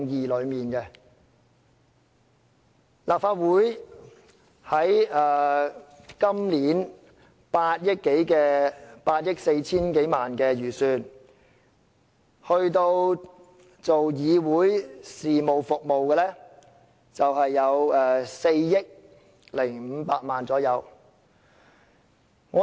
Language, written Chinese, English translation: Cantonese, 立法會今年8億 4,000 萬多元的預算開支中，有關議會事務服務的是大約4億500萬元。, In the estimate of over 840 million for the Legislative Council Commission this year the expense for Council Business services amounts to around 405 million